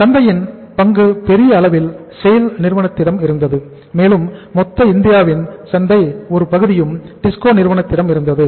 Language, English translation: Tamil, And larger market share was with the SAIL and some part of the total India’s market was with the TISCO also